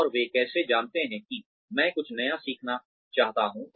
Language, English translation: Hindi, And, how do they know that, I want to learn something new